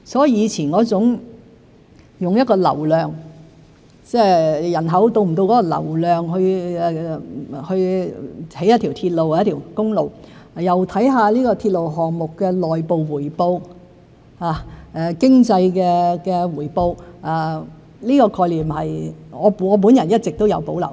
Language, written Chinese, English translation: Cantonese, 以前是用一個流量為基礎，即是考慮人口是否達到那個流量才去興建一條鐵路或一條公路，又考慮鐵路項目的內部回報、經濟回報，我對這個概念一直都有保留。, Previously local traffic was used as a criterion in considering whether the population of an area would justify the construction of a railway or a highway and consideration would also be given to the internal returns or economic returns of a railway project . I have always had reservations about this concept